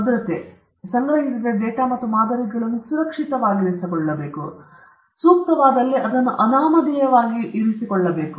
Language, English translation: Kannada, Security data and samples collected should be kept secure and anonymized where appropriate